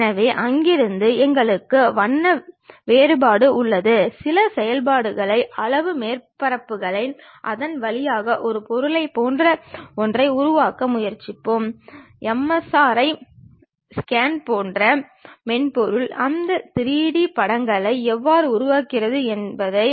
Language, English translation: Tamil, So, we have color contrast from there we will try to impose certain functions pass curves surfaces through that to create something like an object for example, like MRI scan how the software really construct that 3D images